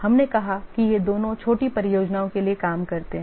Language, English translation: Hindi, We said that both of these work for small projects